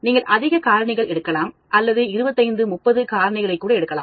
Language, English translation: Tamil, You may take large number of parameters, we may take even 25, 30 parameters